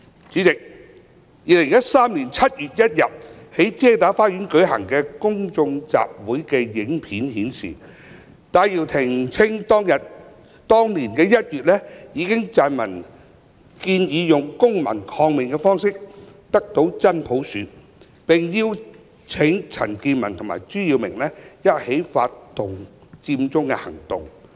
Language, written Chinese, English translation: Cantonese, 主席 ，2013 年7月1日在遮打花園舉行的公眾集會的影片顯示，戴耀廷稱當年1月已撰文建議用"公民抗命"方式得到"真普選"，並邀請陳健民及朱耀明一起發動佔中行動。, President as shown in the video clip of the public meeting held at Chater Garden on 1 July 2013 Benny TAI claimed that in January that year he already wrote to suggest attaining genuine universal suffrage by way of civil disobedience and he invited CHAN Kin - man and Reverend CHU Yiu - ming to join him to start the Occupy Central movement